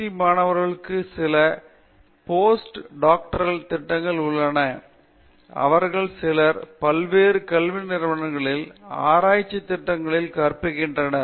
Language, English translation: Tamil, And, PhD students also have some of them joined Post Doctoral programs and some of them have joined teaching in research programs at various educational institutions